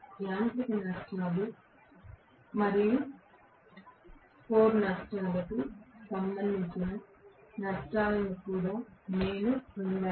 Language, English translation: Telugu, I have also got the losses which are corresponding to mechanical losses and core losses